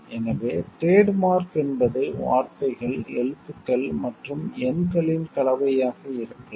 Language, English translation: Tamil, So, trademark can be a combination of words, letters and numerals